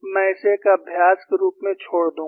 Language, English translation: Hindi, I would leave this as the exercise